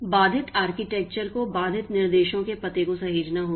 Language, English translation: Hindi, The interrupt architecture must save address of the interrupted instruction